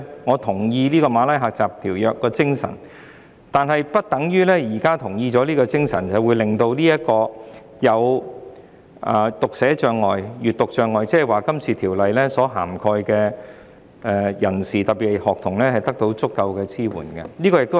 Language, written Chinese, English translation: Cantonese, 我贊同《馬拉喀什條約》的精神，但不表示可以令有讀寫障礙或閱讀障礙的人士，即《條例草案》所涵蓋的人士，特別是學童，得到足夠的支援。, I agree with the spirit of the Marrakesh Treaty but that does not mean that it can provide adequate support to persons with dyslexia or print disabilities that is people covered by the Bill especially students